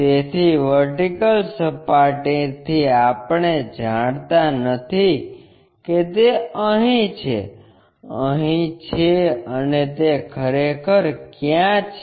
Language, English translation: Gujarati, So, from vertical plane we do not know whether it is here, here, and so on so somewhere here